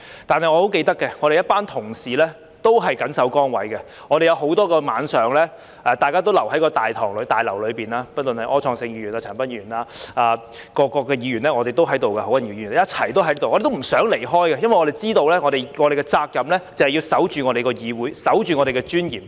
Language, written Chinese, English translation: Cantonese, 但是我很記得，我們一班同事都緊守崗位，有很多個晚上都留在大樓內；不論是柯創盛議員、陳恒鑌議員、何君堯議員，各個議員都在這裏，都不想離開，因為我們知道我們的責任就是要守着我們的議會，守着我們的尊嚴。, However I remember very well that our fellow colleagues stuck to their posts and stayed in the Complex for many nights . Various Members such as Mr Wilson OR Mr CHAN Han - pan and Dr Junius HO were here and did not want to leave because we knew that our duty was to guard our legislature and protect our dignity